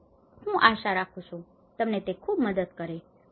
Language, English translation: Gujarati, I hope, this helps thank you very much